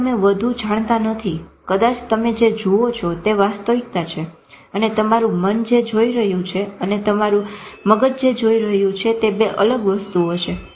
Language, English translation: Gujarati, Maybe what you are seeing, what is the actuality and what your mind is seeing maybe two different things